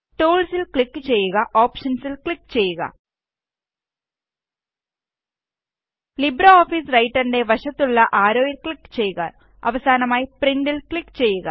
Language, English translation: Malayalam, Click on Tools in the menubar click on Options Click on the arrow beside LibreOffice Writer and finally click on Print